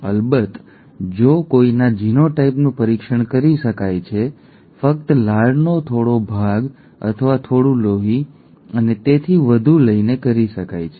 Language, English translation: Gujarati, Of course if it is if somebodyÕs genotype can be tested, just by taking some part of the saliva or some blood and so on and so forth, that can be done